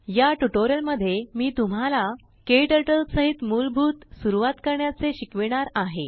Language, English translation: Marathi, In this tutorial I will introduce you to the basics of getting started with KTurtle